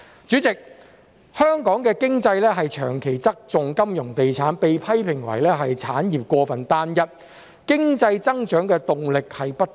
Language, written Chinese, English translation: Cantonese, 主席，香港的經濟長期側重金融及地產，被批評為產業過分單一，經濟增長的動力亦不足。, President Hong Kongs economy has long tilted towards the finance and real estate industries and has been criticized for its uniformity in industrial structure as well as lacking the momentum to drive economic growth